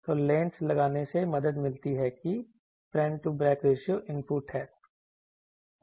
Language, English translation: Hindi, So, putting the lens helps that front to back ratio is input